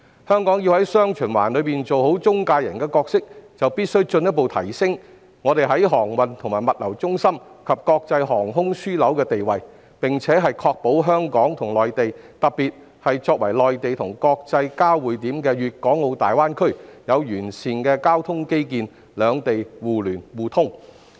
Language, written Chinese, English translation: Cantonese, 香港要在"雙循環"中做好中介角色，必須進一步提升航運和物流中心及國際航空樞紐的地位，並確保香港與內地之間，特別是作為內地和國際交匯點的粵港澳大灣區，有完善的交通基建，兩地能達致互聯互通。, To play a good intermediary role in the dual circulation Hong Kong should further enhance its status as a shipping and logistics centre and an international aviation hub and ensure that there are sound transport infrastructures between Hong Kong and the Mainland especially the Guangdong - Hong Kong - Macao Greater Bay Area which is the intersection of the Mainland and the international community so as to achieve mutual access between the two places